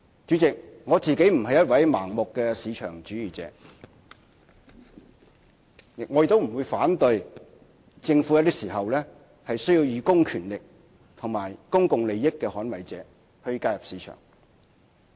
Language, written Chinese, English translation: Cantonese, 主席，我不是一位盲目的市場主義者，亦不會反對政府有些時候需要以公權力及以公共利益捍衞者的角色介入市場。, President I am not a blind supporter of free market economy . I do not object that sometimes it is necessary for the Government to intervene in the market by exercising its public power to defend public interests